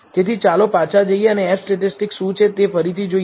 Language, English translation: Gujarati, So, let us go back and revisit what the F statistic is